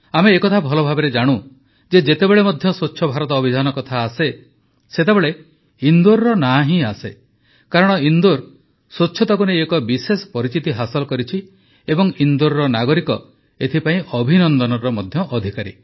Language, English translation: Odia, We know very well that whenever the topic Swachh Bharat Abhiyan comes up, the name of Indore also arises because Indore has created a special identity of its own in relation to cleanliness and the people of Indore are also entitled to felicitations